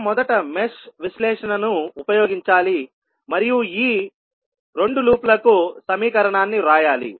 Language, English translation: Telugu, We have to first use the mesh analysis and write the equation for these 2 loops